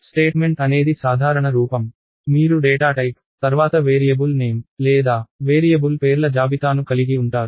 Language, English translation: Telugu, Declaration is the general form; you have the data type followed by the variable name or a list of variable names